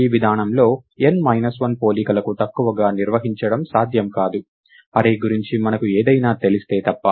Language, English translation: Telugu, It is not possible to perform anything less n minus 1 comparisons in this approach, unless we know something else about the array